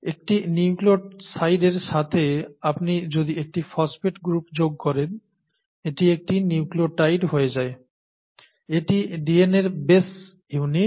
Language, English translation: Bengali, To a nucleoside if you add a phosphate group, it becomes a nucleotide, okay